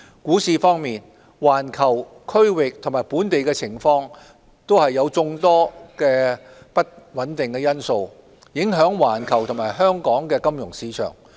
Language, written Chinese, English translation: Cantonese, 股市方面，環球、區域及本地情況的眾多不穩定因素，影響環球及香港的金融市場。, In the stock market there are many unstable factors in the global regional and local conditions that have implications on the financial markets of the world and Hong Kong